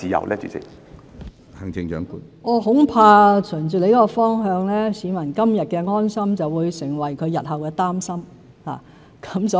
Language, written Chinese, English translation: Cantonese, 循着謝議員所述的方向，恐怕市民今日的安心會成為他們日後的擔心。, If we follow the direction mentioned by Mr TSE I am afraid that members of the public who are reassured today will become worried later